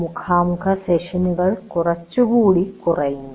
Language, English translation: Malayalam, The face to face sessions are somewhat reduced